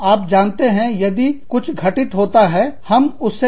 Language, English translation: Hindi, You know, if something falls about, we deal with it